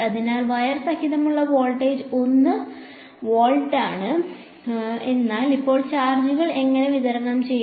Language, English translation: Malayalam, So, the voltage along the wire is 1 volt, but now how will the charges distribute themselves